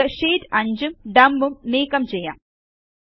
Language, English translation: Malayalam, Let us delete Sheets 5 and Dump